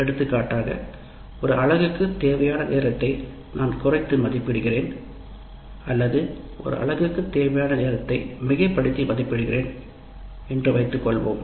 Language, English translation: Tamil, For example, I might be underestimating the time required for a unit or I have overestimated the time required for a unit and so on